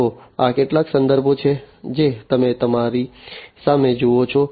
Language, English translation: Gujarati, So, these are some of the references that you see in front of you